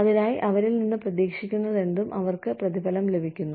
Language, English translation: Malayalam, Whatever is expected of them, they are being rewarded